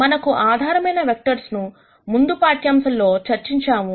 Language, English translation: Telugu, We have already discussed what basis vectors are in a previous lecture